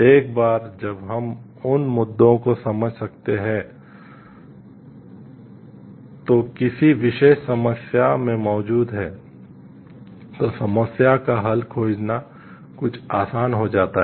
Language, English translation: Hindi, Once we can understand the issues which are present in the particular problem, then finding a solution to the problem become somewhat easy